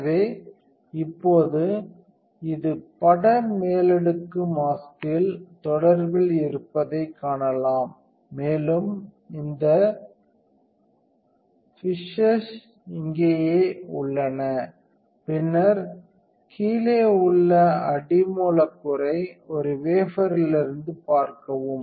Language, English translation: Tamil, So, now you can see you are in contact this is the image overlay is in the mask, and these fishes right here, see then the bottom substrate away a wafer